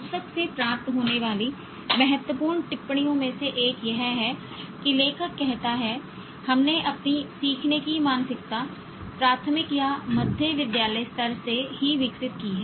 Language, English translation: Hindi, One of the important observation that comes from the book is that the author says we have developed our learning mindsets from the primary or even the middle school level itself